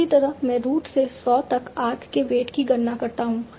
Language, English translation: Hindi, Similarly, I compute the weight of the arc of from root to saw